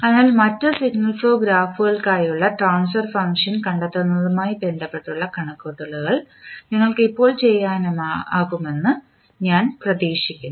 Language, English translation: Malayalam, So, I hope you can now do the calculations related to finding out the transfer function for other signal flow graphs